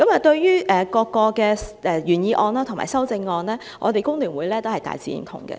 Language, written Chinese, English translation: Cantonese, 對於原議案及各項修正案，香港工會聯合會也大致認同。, In general the Hong Kong Federation of Trade Unions agrees to the original motion and various amendments